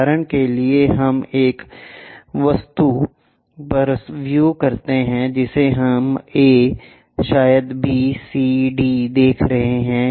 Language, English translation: Hindi, For example, let us consider an object which we are showing a, maybe b, c, d